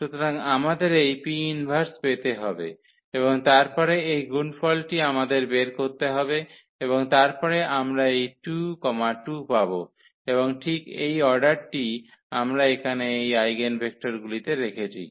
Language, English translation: Bengali, So, we need to get this P inverse and then this product we have to make and then we will get this 2 2 and exactly the order we have placed here these eigenvectors